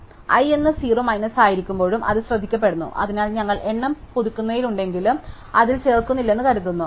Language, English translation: Malayalam, So, that is also taken care of the m minus i being 0, so although we are updating the count, we are assuming not adding in it